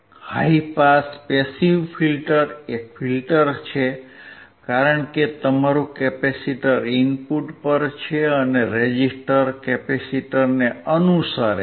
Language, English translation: Gujarati, High pass passive filter is a filter, because your capacitor is at the input and resistor is following the capacitor